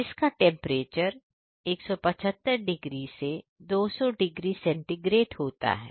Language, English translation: Hindi, Which temperature is around 175 to 200 degree centigrade